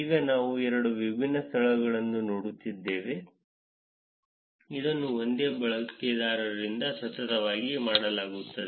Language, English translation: Kannada, Now we are looking at two different venues, which are done by the same user consecutively